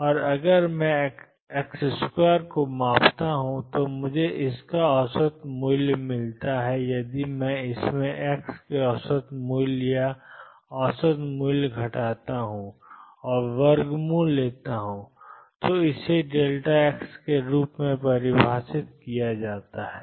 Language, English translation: Hindi, And if I measure x square I get an average value of that if I subtract expectation value or average value of x from this and take square root, this is defined as delta x